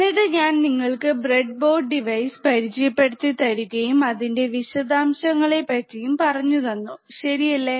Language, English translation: Malayalam, And I have shown you the breadboard devices and the details about the equipment, right